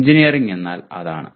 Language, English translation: Malayalam, So that is what engineering is